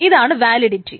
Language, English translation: Malayalam, So that's a validity